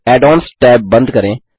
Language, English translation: Hindi, Lets close the Add ons tab